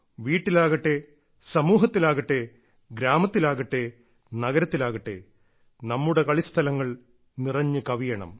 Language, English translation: Malayalam, At home or elsewhere, in villages or cities, our playgrounds must be filled up